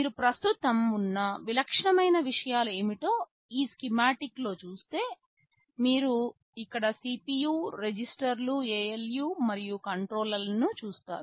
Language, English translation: Telugu, If you look at this schematic what are the typical things that are present, you will see that, there is CPU, registers, ALU’s and control